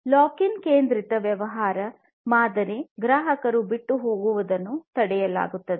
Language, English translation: Kannada, Lock in centric business model prevents the customer from migration